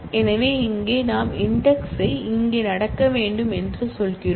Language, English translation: Tamil, So, here we are saying that the index should happen here